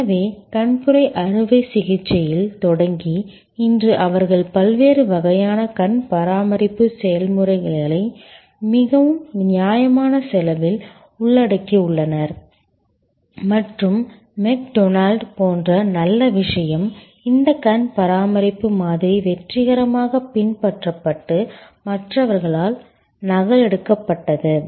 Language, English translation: Tamil, So, starting from cataract surgery today they cover a large number of different types of eye care procedures at a very reasonable cost and the good thing it is just like McDonald's, this eye care model has been successfully replicated adopted and replicated by others